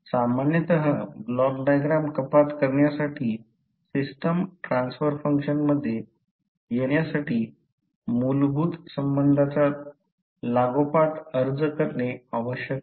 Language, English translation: Marathi, Generally, the block diagram reduction requires the successive application of fundamental relationships in order to arrive at the system transfer function